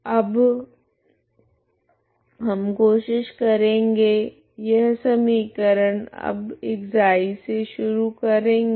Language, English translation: Hindi, So now we try to integrate this this equation now starting with ξ